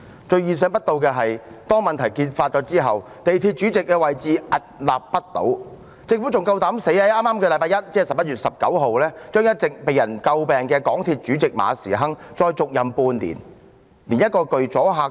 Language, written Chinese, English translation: Cantonese, 最意想不到的是，當問題揭發後，港鐵公司主席仍然屹立不倒，政府還膽敢在剛過去的星期一，讓一直被人詬病的港鐵公司主席馬時亨再續任半年。, The most unexpected thing is that the Chairman of MTRCL still stands tall following the revelation of the problems . Worse still the Government daringly appointed Frederick MA who has been criticized by the public as the Chairman of MTRCL for another term of six months last Monday 19 November